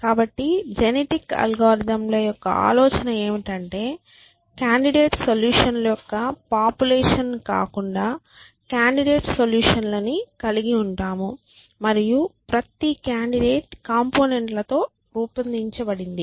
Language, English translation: Telugu, So, the idea in genetic algorithms is that we have candidate solutions rather a population of candidate solutions and each candidate is made up of components